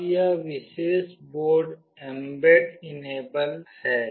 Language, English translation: Hindi, Now this particular board is mbed enabled